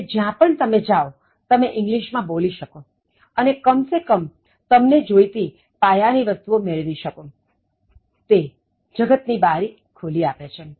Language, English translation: Gujarati, So, wherever you go, you will be able to speak in English and get at least the basic things that you want, it offers the window to the world